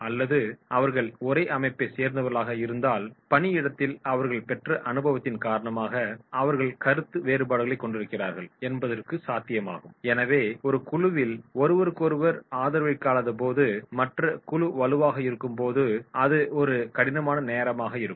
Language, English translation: Tamil, Or if they are from the same organisation, it is also possible that is they are having difference of opinions because of their experience at the workplace, so that will be a tough time when the group is not supporting each other and the group is having strong difference of opinions